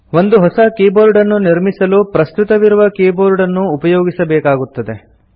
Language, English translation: Kannada, To create a new keyboard, we have to use an existing keyboard